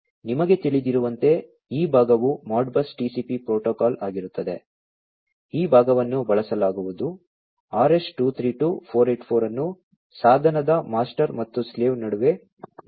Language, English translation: Kannada, You know so, different like you know this part would be Modbus TCP protocol, which will be used this part would be the RS 232 484 could be used between the device master and the slave